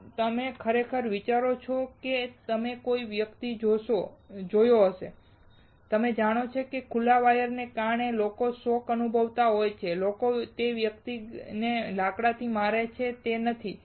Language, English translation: Gujarati, If you really think of you may have seen a person; you know getting shock because of the open wire and people hitting that person with a wood; is it not